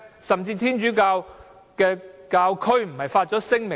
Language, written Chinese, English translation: Cantonese, 甚至天主教教區不也發出了聲明嗎？, Did the Catholic Diocese of Hong Kong not even issue a statement?